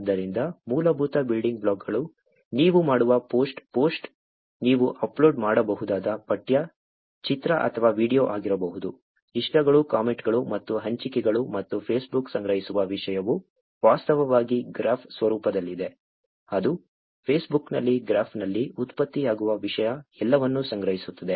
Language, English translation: Kannada, So, the basic building blocks are the post that you do, the post can be text, image or video that you can upload, likes, comments and shares and the content that Facebook stores is actually in a graph format, which is it stores all the content that is produced in Facebook in a graph